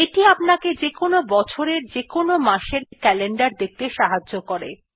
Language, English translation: Bengali, Though not as common this helps you to see the calender of any month and any year